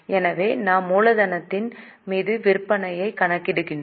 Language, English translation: Tamil, So we are calculating sales upon capital employed